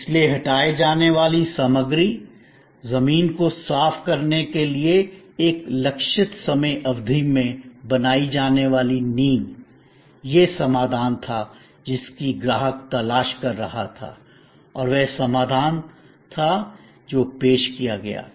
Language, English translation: Hindi, So, material to be removed, ground to be cleared, foundation to be created over a targeted time span; that was the solution the customer was looking for and that was the solution that was offered